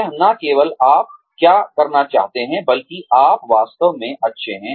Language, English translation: Hindi, It is not only, what you want to do, but what are you really good at